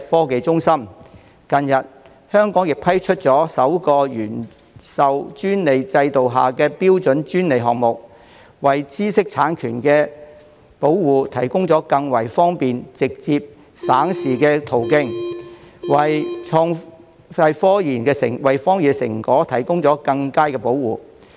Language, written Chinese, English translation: Cantonese, 近日，香港批出首個"原授專利制度"下的標準專利項目，為知識產權保護提供更方便、直接、省時的途徑，為科研成果提供更佳保護。, The first standard patent under the original grant patent system has recently been granted in Hong Kong and this provides a convenient direct and expeditious route for patent applicants and provides better protection for the results of scientific research